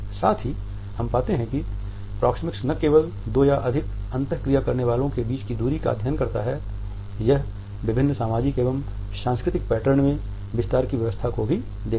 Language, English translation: Hindi, Now, at the same time we find that Proxemics does not only study the distance between the two or more interactants, it also looks at the arrangement of the space in different socio cultural patterns